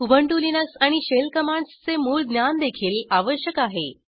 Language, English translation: Marathi, Basic knowledge of Ubuntu Linux and shell commands is also required